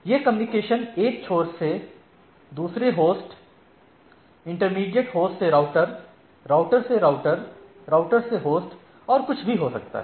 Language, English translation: Hindi, So, it can be from the host one end one host to other, intermediate host to router, router to router, router to host and anything